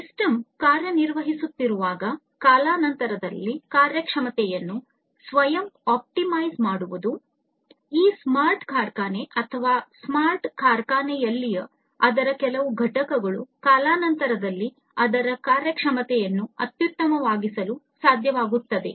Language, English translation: Kannada, Self optimizing the performance over time when the system is performing, this smart factory or some component of it in a smart factory is able to optimize its performance over time